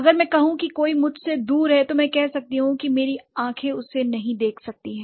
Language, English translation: Hindi, So, if I say somebody is far away from me, I can say that oh my eyes can't see him